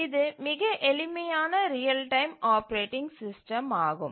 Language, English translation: Tamil, So, this is the simplest real time operating system